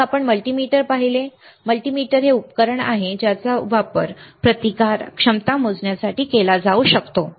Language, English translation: Marathi, Then we have seen multimeter; multimeter is a device that can be used to measure resistance, capacitance, right